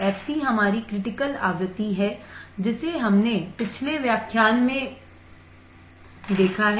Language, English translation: Hindi, F c is our critical frequency we have seen in the last lecture